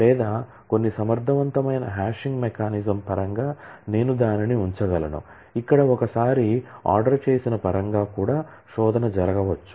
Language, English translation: Telugu, Or I could keep it in terms of some efficient hashing mechanism where the search could happen in terms of an ordered one time also